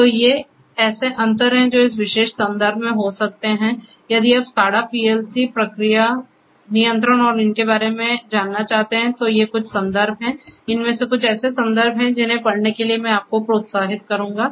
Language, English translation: Hindi, So, these are the differences that one could go through in this particular context and these are some of these references if you are interested to know about SCADA, PLCs you know process control and so on; these are some of the ones that you know I would encourage you to go through